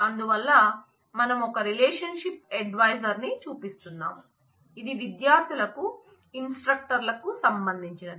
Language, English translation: Telugu, So, we are showing a relationship advisor so, which relates instructors to students